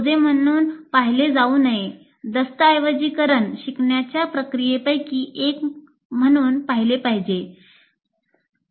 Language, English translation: Marathi, It's a, it should be seen, documenting should be seen as a, as one of the processes of learning